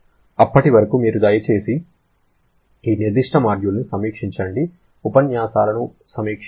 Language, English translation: Telugu, And till then, you please review this particular module, review the lectures